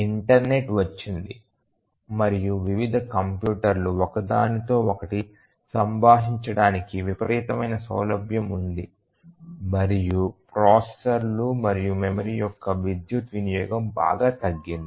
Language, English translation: Telugu, The internet has come in and there is tremendous flexibility for different computers to communicate to each other and also the power consumption of the processors and memory have drastically reduced